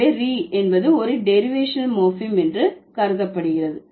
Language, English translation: Tamil, So, re would be considered as a derivational morphem